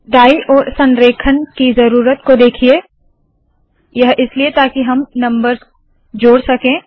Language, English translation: Hindi, See the need for right alignment, this is so that we can add these numbers